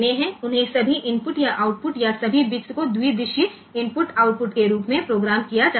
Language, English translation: Hindi, So, they can be programmed as all input or output or all bits as bidirectional input output